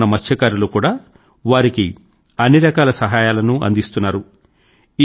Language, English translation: Telugu, Local fishermen have also started to help them by all means